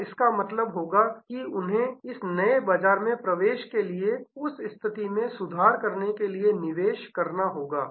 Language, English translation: Hindi, And that will mean that they have to invest to grow they have to improve that position for this new market entry